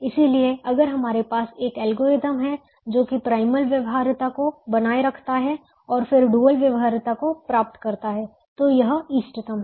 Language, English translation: Hindi, so we, if we have an algorithm that maintains primal feasibility and then approaches dual feasibility and gets it, then it is optimum